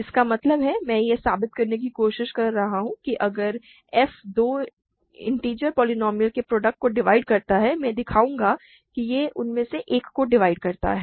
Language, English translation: Hindi, I am trying to prove f is prime; that means, I am trying to prove that if f divides a product of two integer polynomials; I will show that it divides one of them